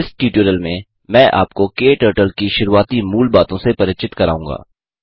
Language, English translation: Hindi, In this tutorial I will introduce you to the basics of getting started with KTurtle